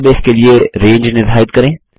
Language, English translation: Hindi, Define Ranges for a database